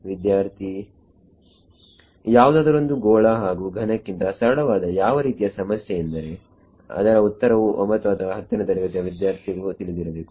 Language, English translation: Kannada, Something simpler than sphere and cube, what is a problem that even the class 9 or 10 student knows the answer too